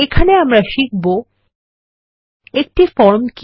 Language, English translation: Bengali, Here, we will learn the following: What is a form